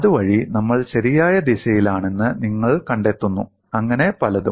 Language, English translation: Malayalam, So that way you find that we on the right direction, so on and so forth